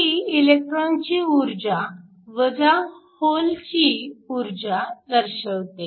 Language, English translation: Marathi, So, this is energy of the electron this is the energy of the hole